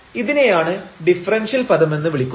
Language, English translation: Malayalam, So, we are talking about the differential